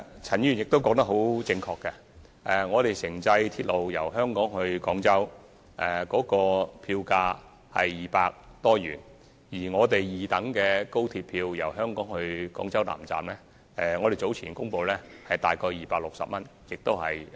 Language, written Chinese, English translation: Cantonese, 陳議員說得對，城際鐵路由香港至廣州的票價是250元，而我們早前公布由香港至廣州南站的高鐵二等車票票價，則約為260元。, Ms CHAN is right in saying that the ITT fare for the journey from Hong Kong to Guangzhou is 250 and as announced earlier the second class fare of XRL for the journey from Hong Kong to Guangzhou South Station is about 260